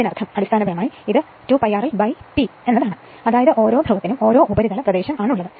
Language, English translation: Malayalam, That means, basically it is basically 2 pi r l by P that is surface area per pole right